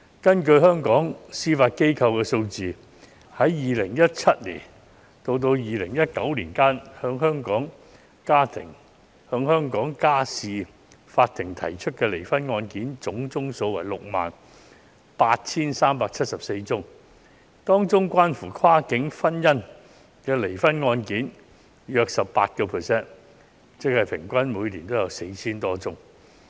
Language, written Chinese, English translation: Cantonese, 根據香港司法機構的數字，在2017年至2019年期間，向香港家事法庭提出離婚的案件總數為 68,374 宗，當中涉及跨境婚姻的離婚案件約佔 18%， 即平均每年有 4,000 多宗。, Based on the figures provided by the Hong Kong Judiciary the total number of divorce cases filed with the Hong Kong Family Court was 68 374 between 2017 and 2019 about 18 % of which were divorce cases involving cross - boundary marriages meaning an average of over 4 000 cases per year